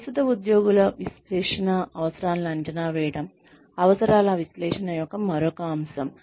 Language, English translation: Telugu, Assessing, current employees training needs, is another aspect of needs analysis